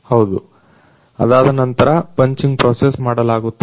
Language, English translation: Kannada, Yes, after that punching process is completed